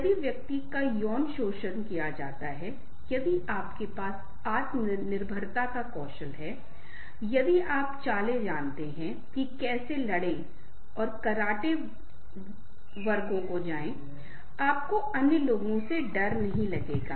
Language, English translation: Hindi, if the person is sexually assaulted, if you have the self reliance skills, if you know the tricks, how to fight and take the karate classes, you will not fear the other people